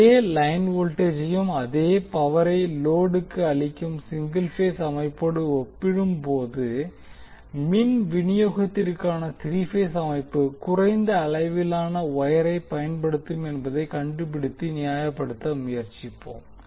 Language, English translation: Tamil, Let us try to find out and justify that the three phase system for power distribution will use less amount of wire when we compare with single phase system which is having the same line voltage and the same power being fed to the load